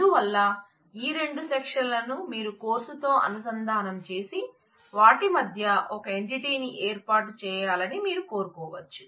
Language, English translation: Telugu, So, you may want to relate these two section with the course and set up an entity between them